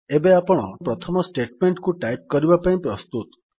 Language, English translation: Odia, You are now ready to type your first statement